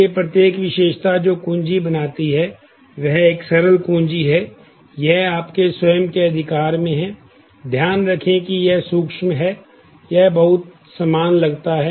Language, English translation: Hindi, So, each attribute which makes up the key is a simple key, in it’s own right, mind you there is a subtle, it sounds very similar